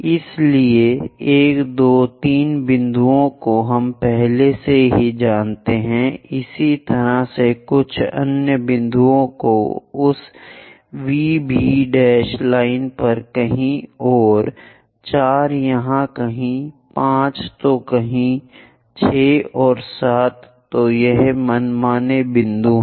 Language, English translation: Hindi, So 1, 2, 3 points already we know similarly locate some other points on that V B prime line somewhere here 4 somewhere here 5 somewhere here 6 and 7, so these are arbitrary points